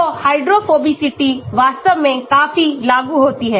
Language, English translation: Hindi, So, hydrophobicity applies quite a lot actually